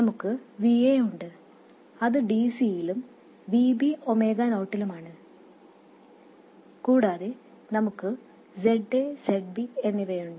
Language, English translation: Malayalam, We have VA which is DC and VB which is at Omega 0 and we have Z A and ZB and ZB